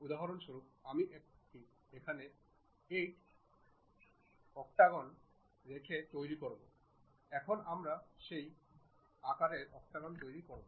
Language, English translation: Bengali, For example, if I am going to construct octagon by keeping 8 number there, we will construct octagon of that size